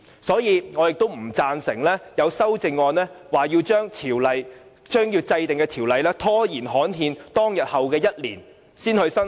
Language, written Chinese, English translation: Cantonese, 所以，我不贊成有修正案提出，將要制定的法例拖延至刊憲日的1年後才生效。, Hence I oppose the amendment to delay the commencement date of the Ordinance for one year after the enacted Ordinance is published in the Gazette